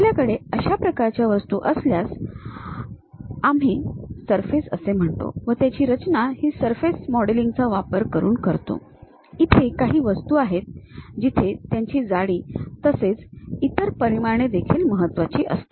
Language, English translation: Marathi, If we have such kind of objects, we call surface we construct it using surface modelling; there are certain objects where thickness are the other dimensions are also important